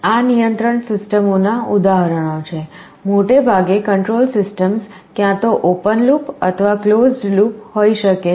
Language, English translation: Gujarati, These are examples of control systems; broadly speaking control systems can be either open loop or closed loop